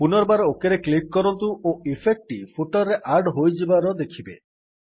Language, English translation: Odia, Again click on OK and we see that the effect is added to the footer